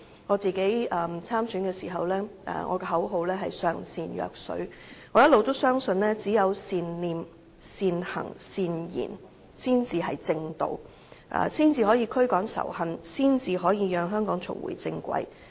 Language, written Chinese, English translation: Cantonese, 我參選時的口號是"上善若水"，因我一直相信只有善念、善行、善言，才是正道，才可以驅趕仇恨，讓香港重回正軌。, The slogan I used during my election campaign was the greatest good is like water because I have all along believed that only good thoughts good deeds and good words are the right way that can eliminate hatred bringing Hong Kong back to the right track